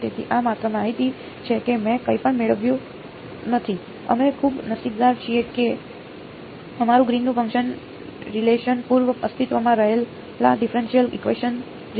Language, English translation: Gujarati, So, this is just information I have not derived anything, we got very lucky that our greens function relation came very similar to a preexisting differential equation